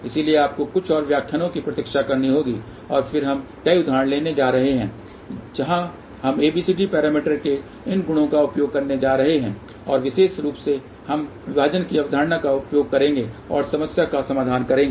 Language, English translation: Hindi, So, you have to wait for few more lectures, and then we are going to take several examples where we are going to use these properties of ABCD parameters and specially we will use the concept of divide and solve the problem